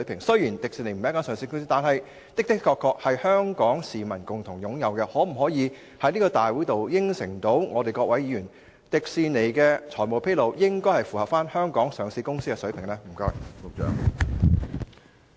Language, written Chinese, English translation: Cantonese, 雖然迪士尼並非上市公司，但它確實是香港市民共同擁有的資產，局長可否向本會議員承諾，確保迪士尼在財務披露方面，符合香港上市公司的水平？, Although Disneyland is not a listed company it is indeed an asset jointly owned by the people of Hong Kong . Can the Secretary make an undertaking to Members of this Council to ensure that Disneyland will meet the standard required of Hong Kong listed companies in terms of financial disclosure?